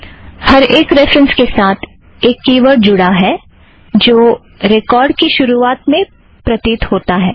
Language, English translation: Hindi, Each reference has a key word, that appears at the very beginning of the record